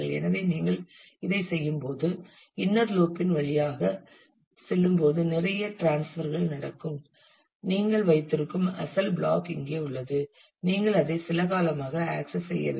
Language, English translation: Tamil, So, when you do this when you are going through the inner loop, there will be lot of transfers that will happen; and the original block where you have been holding this is here and you are not accessing that for quite some time